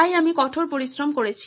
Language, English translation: Bengali, So I have done the hard work